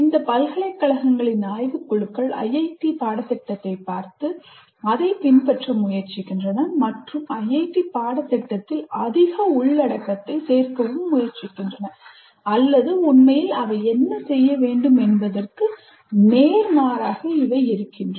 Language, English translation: Tamil, Whenever a curriculum is to be designed, the boards of studies of these universities look at IIT curriculum and try to, in fact, add more content to the IIT curriculum, which is exactly the opposite of what they should be doing